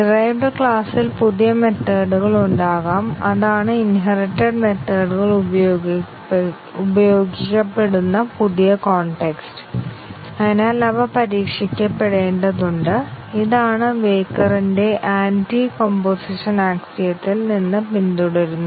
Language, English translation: Malayalam, There can be new methods in the derived class and that is the new context with which the inherited methods will be used and therefore, they need to be tested and this is what follows from the Weyukar's Anticomposition axiom